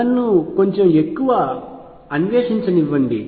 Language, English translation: Telugu, Let me explore that a bit more